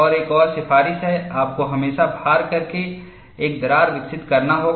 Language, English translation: Hindi, And another recommendation is, you have to grow a crack always by loading